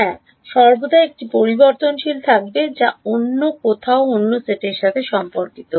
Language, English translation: Bengali, Yeah, there will always be one variable which belongs to the other set somewhere